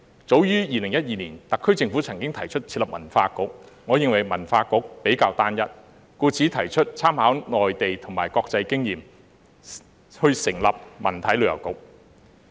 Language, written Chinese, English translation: Cantonese, 早於2012年，特區政府曾提出設立文化局，我認為文化局比較單一，故此提出參考內地及國際經驗，成立文體旅遊局。, As early as 2012 the SAR Government proposed the establishment of a Culture Bureau but I think that the Culture Bureau is rather unitary so I propose to make reference to the Mainland and international experience and establish a Culture Sports and Tourism Bureau